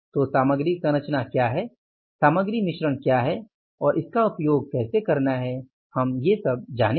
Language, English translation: Hindi, So, what is the material composition, what is the material mix and how to use it, we will be doing that